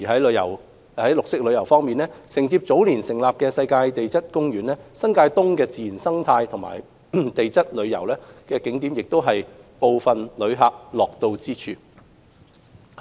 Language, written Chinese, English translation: Cantonese, 綠色旅遊方面，承接早年成立的世界地質公園，新界東的自然生態和地質旅遊景點亦是部分旅客樂到之處。, On green tourism in addition to the Hong Kong UNESCO Global Geopark founded earlier tourist attractions concerning natural ecology and geology in the New Territories East have become places of interest to some tourists